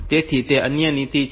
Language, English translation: Gujarati, So, that is other policy